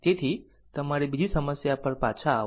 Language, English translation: Gujarati, So, come back to another your problem